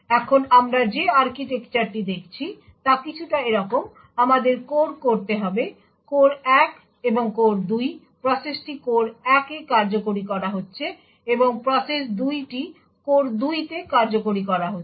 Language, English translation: Bengali, So the architecture we are looking at is something like this, we have to cores; core 1 and core 2, the process is executing in core 1 and process two is executed in core 2